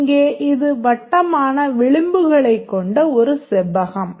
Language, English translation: Tamil, And here it's a rectangle with rounded edges